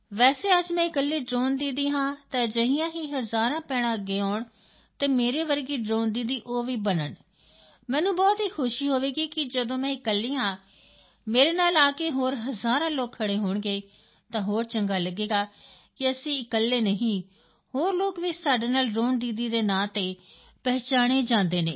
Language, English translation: Punjabi, Just like today I am the only Drone Didi, thousands of such sisters should come forward to become Drone Didi like me and I will be very happy that when I am alone, thousands of other people will stand with me… it will feel very good that we're not alone… many people are with me known as Drone Didis